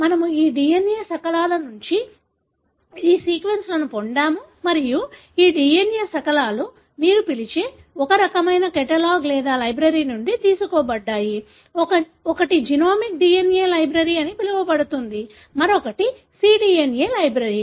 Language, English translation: Telugu, So, we derive these sequences from these DNA fragments and these DNA fragments are derived from a kind of catalogue or library you call, one is called as genomic DNA library, other one is cDNA library